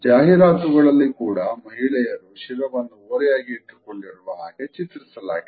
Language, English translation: Kannada, Women are often also shown in advertisements tilting their heads